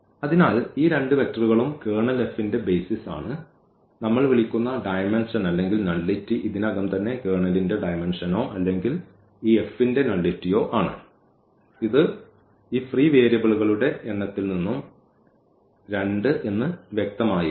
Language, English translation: Malayalam, So, these two vectors form the basis of the of the Kernel F and the dimension or the nullity which we call is already there the dimension of the Kernel or the nullity of this F which was clear also from the number of these free variables which are 2 here